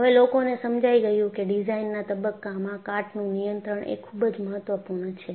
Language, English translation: Gujarati, So, people realizedcorrosion control is equally important at the design phase